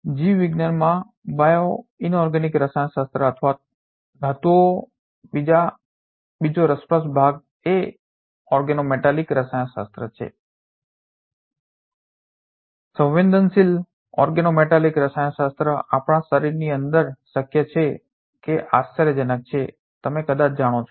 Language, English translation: Gujarati, Another interesting part of the bioinorganic chemistry or metals in biology is the organometallic chemistry, even the sensitive organometallic chemistry can be feasible inside our body that is quite amazing you know it perhaps